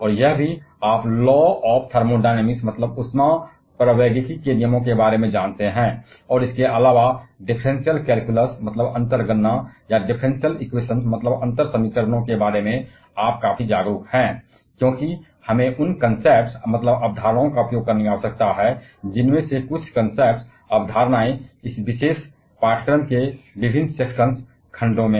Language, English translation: Hindi, And also, you are aware about the laws of thermodynamics, and also you are quite aware about the differential calculus, or differential equations rather, because we need to make use of those concepts, some of those concepts in different sections of this particular course